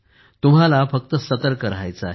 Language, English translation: Marathi, You just have to be alert